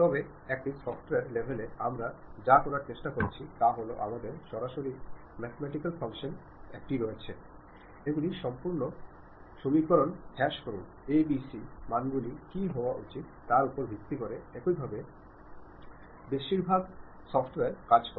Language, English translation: Bengali, But a software level, what we are trying to do is we straight away have a mathematical functions, minimize these entire equations based on what should be the a, b, c values, that is the way most of the software works